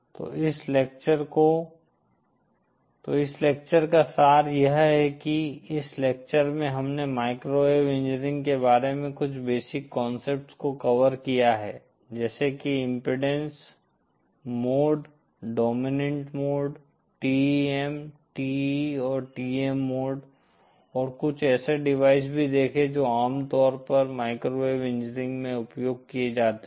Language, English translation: Hindi, So just to summarise this lecture, in this lecture we have covered some basic concepts about microwave engineering like impedance, modes, dominant modes, TEM, TE and TM modes and also introduced some of the devices that are commonly used in Microwave engineering